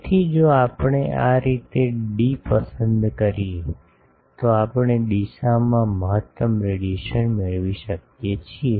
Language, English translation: Gujarati, So, if we choose d like this, we can get maximum radiation in direction